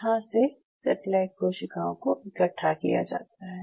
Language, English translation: Hindi, And these satellite cells are collected